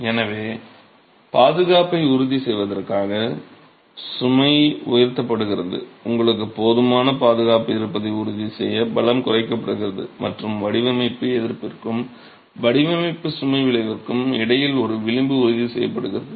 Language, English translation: Tamil, So the load is pumped up to ensure safety, the strengths are reduced to ensure that you have sufficient safety and a margin between the design resistance and the design load effect is ensured